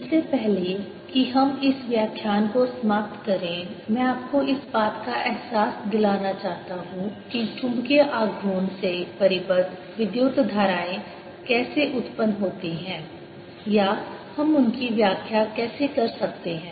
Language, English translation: Hindi, before we end this lecture, i want to give you a feeling for how the bound currents arise out of magnetic moments, or how we can interpret them